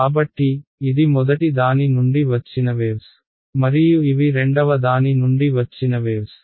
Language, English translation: Telugu, So, this is waves from the first guy and these are waves from the second guy right